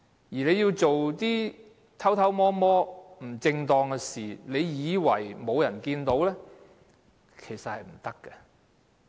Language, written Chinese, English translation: Cantonese, 如果要做一些偷偷摸摸，不正當的事，以為沒有人看到，其實是不行的。, He should not do a wrong thing secretively in the hope that no one will find out . This actually does not work